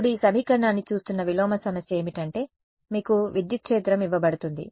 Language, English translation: Telugu, Now, inverse problem looking at this equation is you are going to be given the electric field